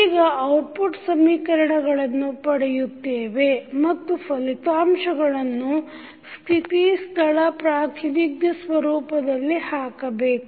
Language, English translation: Kannada, Now, obtain the output equation and the put the final result in state space representation format